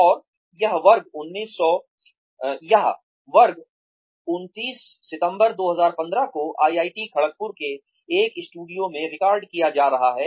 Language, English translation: Hindi, And, this class is being recorded on the, 29th September 2015, in a studio in IIT, Kharagpur